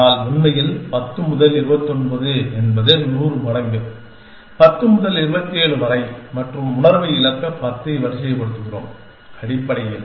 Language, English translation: Tamil, But in fact, is of course, 10 is to 29 is 100 times 10 is to 27 and we sort of 10 to lose sense, of in essentially